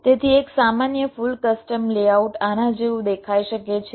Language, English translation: Gujarati, so a typical full custom layout can look like this